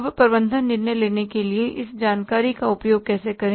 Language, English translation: Hindi, Now, how to use this information for the management decision making